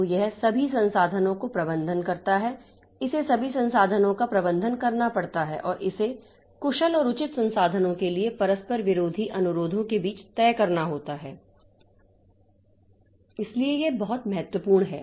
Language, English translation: Hindi, So, it manages all resources, it has to manage all the resources and it has to decide between conflicting requests for efficient and fair resources